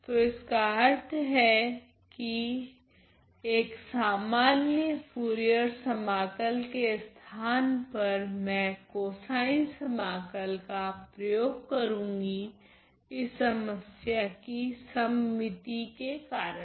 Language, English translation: Hindi, So, which means instead of the regular Fourier integral I am going to use a cosine integral because of the symmetry in the problem ok